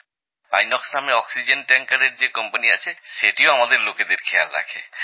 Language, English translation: Bengali, Sir, our Company of oxygen tankers, Inox Company also takes good care of us